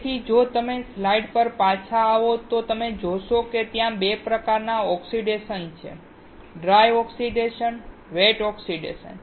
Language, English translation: Gujarati, So, if you come back to the slide you see that there are 2 types of oxidation; dry oxidation and wet oxidation